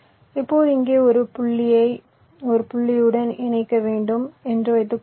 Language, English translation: Tamil, now suppose i need to connect a point here to a point here